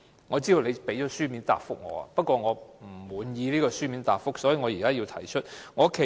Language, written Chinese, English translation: Cantonese, 我知道主席已作出書面答覆，不過我不滿意，所以要在會議上提出。, I know the President has made a written reply but I am not satisfied with it and so I have to raise this point at this meeting